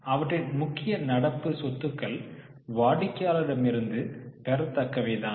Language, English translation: Tamil, So, their major current assets are the receivables from customers